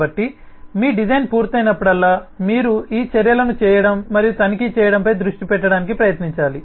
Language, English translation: Telugu, so whenever your design is done, you should try to focus on doing these measures and checking out if you should improve on the design